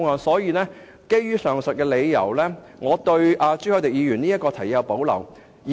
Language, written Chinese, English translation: Cantonese, 所以，基於上述理由，我對朱凱廸議員提出的這項議案有所保留。, Hence for the aforesaid reasons I have reservations about Mr CHU Hoi - dicks motion